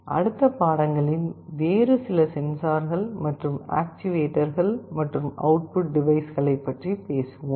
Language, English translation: Tamil, We shall be continuing by talking about some other sensors and actuators, and output devices in the next lectures